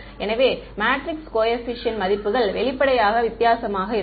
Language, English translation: Tamil, So, the values of the matrix coefficients will; obviously, be different